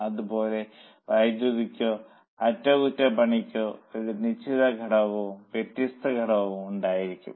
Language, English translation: Malayalam, Similarly for electricity or for maintenance also there will be a fixed component and variable component